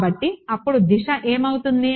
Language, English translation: Telugu, So, what happens to the direction then